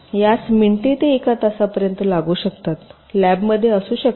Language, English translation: Marathi, it can take minutes to an hour may be in the lab